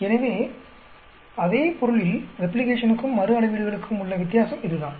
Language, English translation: Tamil, So, that is the difference between replication and repeated measurements in the same material